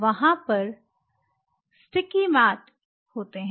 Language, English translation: Hindi, There is something called sticky mats, the sticky mats